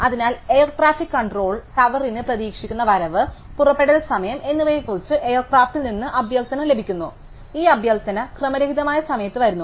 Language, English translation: Malayalam, So, the air traffic control tower receives request from the air craft about the expected arrival and departure times and these request come at random time